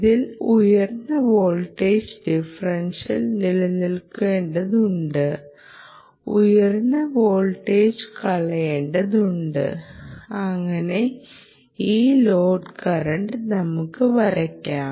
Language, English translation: Malayalam, right, it has to maintain a higher voltage differential and has to drop sufficiently high voltage ah so that you can continue to draw this load current of whatever we specified